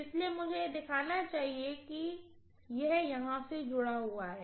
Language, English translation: Hindi, So I should show it as though this is connected here, okay